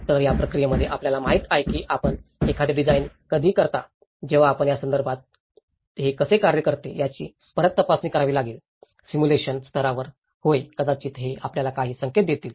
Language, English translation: Marathi, So, in this process, you know when you do a design, when you have to test back how it works in this context, on a simulation level, yeah, maybe it will give you some hint